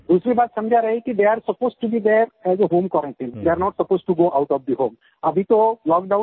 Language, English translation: Hindi, The second thing is, when they are supposed to be in a home quarantine, they are not supposed to leave home at all